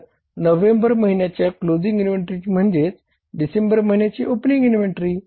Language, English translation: Marathi, So closing inventory of the month of November is the opening inventory for the month of December